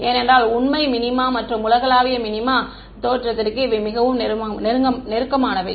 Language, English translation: Tamil, Because the true minima and the global minima are very close to the origin